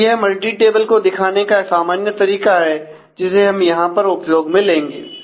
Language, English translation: Hindi, So, that is a basic multi table convention that is to be followed here